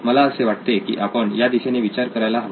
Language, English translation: Marathi, I think we should think in those directions